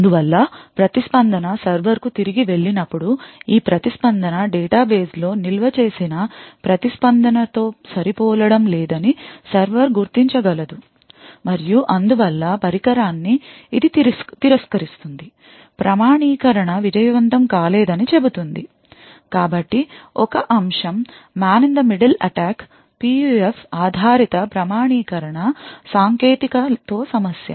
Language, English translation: Telugu, Therefore when the response goes back to the server, the server would be able to identify that this response does not match the response stored in the database and therefore it would reject the device, it would say that the authentication is not successful, so one aspect that is an issue with PUF based authentication technique is the case of the man in the middle